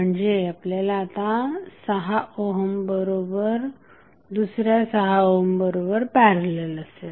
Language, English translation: Marathi, You get eventually the 6 ohm in parallel with another 6 ohm resistance